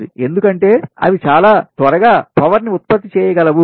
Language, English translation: Telugu, it can generate power every quickly